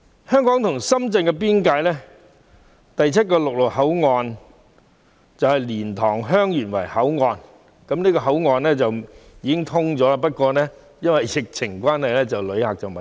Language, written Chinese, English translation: Cantonese, 香港與深圳邊境的第七個陸路口岸是蓮塘/香園圍口岸，此口岸已通關，只因爆發疫情而未有旅客使用。, The seventh land boundary control point between Hong Kong and Shenzhen is the LiantangHeung Yuen Wai LTHYW Control Point which has been commissioned but not opened to passengers due to the COVID - 19 outbreak